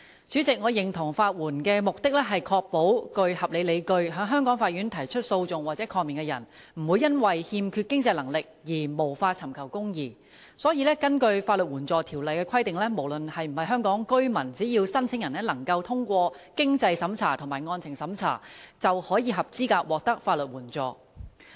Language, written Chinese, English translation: Cantonese, 主席，我認同法援的目的，是確保具合理理據，在香港法院提出訴訟或抗命的人，不會因為欠缺經濟能力而無法尋求公義，所以根據《法律援助條例》的規定，無論是否香港居民，只要申請人通過經濟審查和案情審查，便合資格獲得法援。, President I agree that the purpose of providing legal aid is to ensure that no one with reasonable grounds for taking or defending proceedings is prevented from doing so and be denied access to justice because of lack of means . Hence according to the requirements of the Legal Aid Ordinance LAO all applicants who have passed the means test and merit test are qualified for legal aid whether or not they are residents of Hong Kong